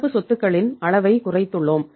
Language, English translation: Tamil, So we reduced the level of current assets